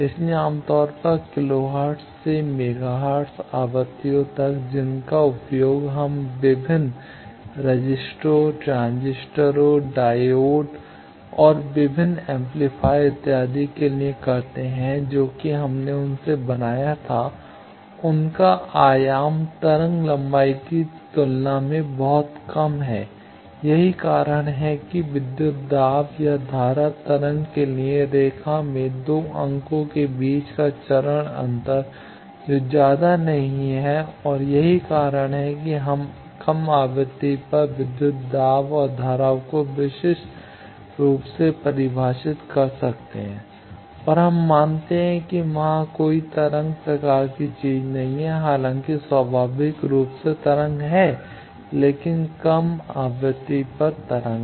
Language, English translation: Hindi, So, typically in kilohertz up to megahertz frequencies the circuit dimension that we use for various registers, transistors, diodes and various amplifiers, etcetera that we built from them their dimension is much, much less than wave length that is why the phase difference between 2 points in the line for a voltage or current wave that is not much and that is why we can uniquely define the voltage and currents at low frequency and we assume that there is no wave type of thing there though inherently there is wave, but at low frequency wave